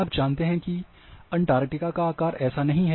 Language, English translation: Hindi, You know that the shape of the Antarctica is not like this